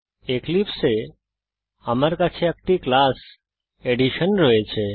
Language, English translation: Bengali, In eclipse, I have a class Addition